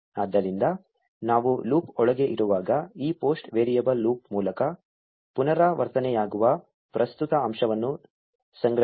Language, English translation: Kannada, So, when we are inside the loop, this post variable will be storing the current element being iterated by the loop